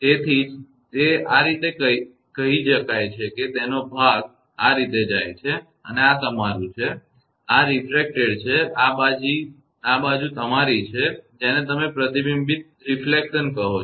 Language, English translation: Gujarati, That is why it is going like this; part of this going like this and this is your; this side is refracted one and this side is your; what you call reflection one